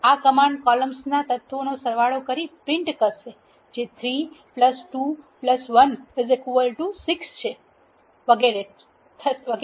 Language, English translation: Gujarati, This command will prints the sums of the elements in the columns as 3 plus 2 plus 1 is 6 and so on